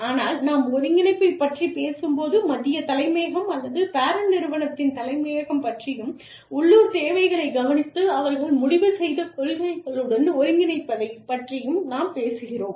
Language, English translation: Tamil, But, when we talk about integration, we are talking about, the central headquarters, or the headquarters in the parent company, taking care of the local needs, and integrating them with the policies, that they have decided